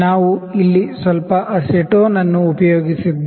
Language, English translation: Kannada, So, we have applied a little acetone here